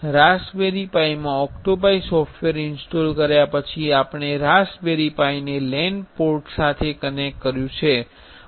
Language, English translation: Gujarati, After installing the OctoPi software in raspberry pi, then we have connected raspberry pi to a LAN port